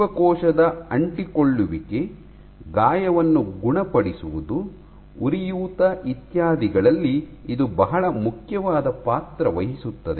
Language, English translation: Kannada, And it plays very important roles in cell adhesion, wound healing, inflammation, so on and so forth